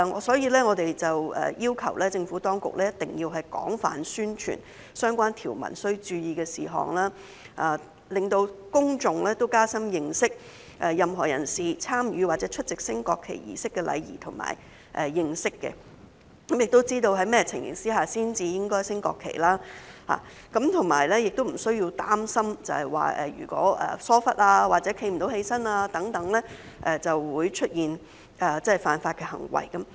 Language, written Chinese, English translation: Cantonese, 所以，我們要求政府當局一定要廣泛宣傳相關條文須注意的事項，讓公眾可以加深認識任何人士參與或出席升國旗儀式的禮儀，亦要知道在甚麼情況下才應該升掛國旗，以及無須擔心疏忽或無法站立等情況會招致出現犯法行為。, We therefore urge the Administration to widely publicize the points to note in the relevant provisions thus enabling the general public to have a better understanding of the etiquette to be followed by any person taking part in or attending a national flag raising ceremony and know under what circumstances the national flag should be raised without having to worry that situations such as negligence or inability to stand would constitute an offence